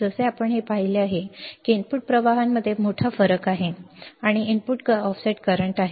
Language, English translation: Marathi, As we have seen this, that there is a big difference between the input currents and is the input offset current